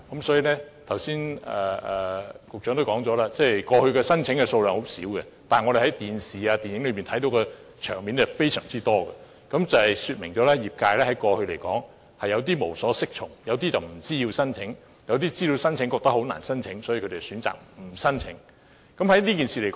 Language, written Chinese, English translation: Cantonese, 所以，局長剛才也說，過去申請數量很少，但我們從電視及電影卻看到很多這類場面，說明業界過去有點無所適從，有些人不知道要申請；有些人知道要申請，但覺得很難獲批，所以選擇不申請。, But we do see that many TV programmes and films with scenes using prop banknotes . This shows that the industries have been at a loss what to do . Some of them do not know they are required to make applications and those who do know find it difficult to obtain approval so they choose not to make applications